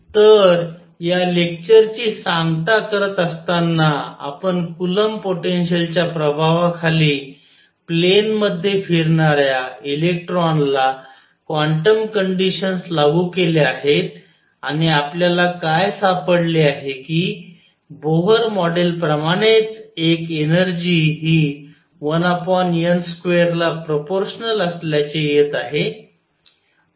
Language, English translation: Marathi, So, to conclude this lecture, we have applied quantum conditions to an electron moving in a plane under the influence of coulomb potential and what do we find one energy comes out to be proportional to 1 over n square same as the Bohr model